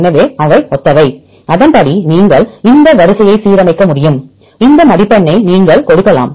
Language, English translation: Tamil, So, they are similar, accordingly you can align this sequence you can give this score